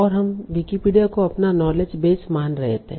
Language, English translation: Hindi, And we were considering Wikipedia as our knowledge base